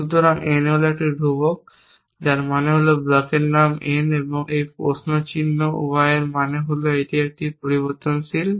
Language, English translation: Bengali, So, n is a constants with means the block name is n and this question mark y means it is a variable